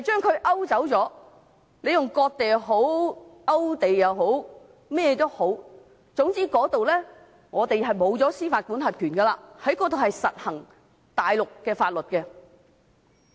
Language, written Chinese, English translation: Cantonese, 不管你稱之為"割地"、勾地或甚麼，總之，我們在那裏會失去司法管轄權，在那裏會實施大陸的法律。, Whatever one calls it cession of land or putting the area on the land list Hong Kong will lose its jurisdiction of the area and Chinese law will apply there